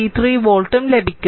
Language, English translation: Malayalam, 13 volt, right